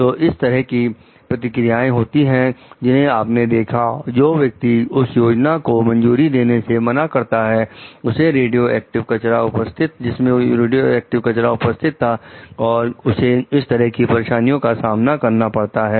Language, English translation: Hindi, So, these are the consequences that you find, the person who refused to approve a plan has that would have a radioactive waste, so faced